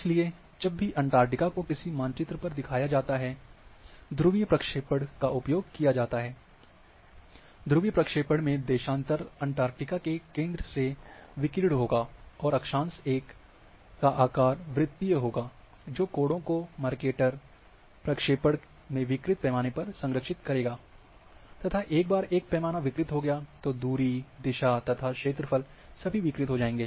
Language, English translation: Hindi, So, whenever Antarctica is shown in some maps, they use the polar projection in which, in polar projection the longitude will radiate from the centre of Antarctica, and latitude will have a circular shape, which preserves the angles Mercator projection, distorted scales